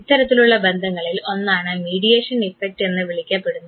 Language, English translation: Malayalam, One form of relationship is what is called as mediation effect